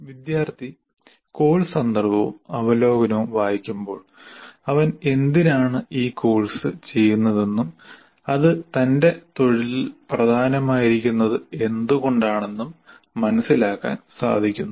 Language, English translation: Malayalam, So course context will overview, when the student reads this, he finalizes why is doing this course and why is it important to his profession